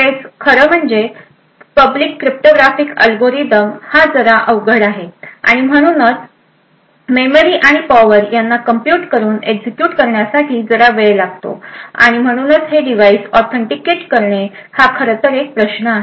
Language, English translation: Marathi, Several of especially the Public cryptographic algorithms quite complex and therefore would require considerable amount of compute power and memory in order to execute therefore authenticating these devices is actually a problem